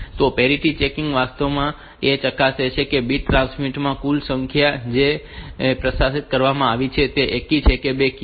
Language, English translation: Gujarati, So, parity checking is actually checking whether the total number of 1 s in the bit stream that has been transmitted is even or odd